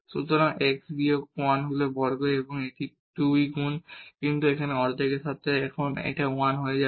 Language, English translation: Bengali, So, x minus 1 is square and this is 2 times, but with that half it will become 1 now